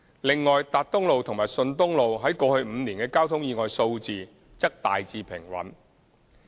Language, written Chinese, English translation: Cantonese, 另外，達東路及順東路於過去5年的交通意外數字則大致平穩。, Besides the traffic accident figures for Tat Tung Road and Shun Tung Road remained generally stable for the past five years